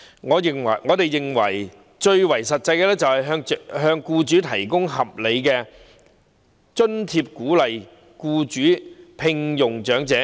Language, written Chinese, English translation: Cantonese, 我們認為最實際的做法是向僱主提供合理津貼，鼓勵僱主聘用長者。, We hold that the most practical way is to provide reasonable allowances for employers to incentivize them to hire elderly persons